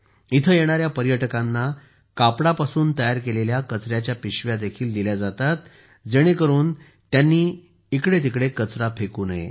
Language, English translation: Marathi, Garbage bags made of cloth are also given to the tourists coming here so that the garbage is not strewn around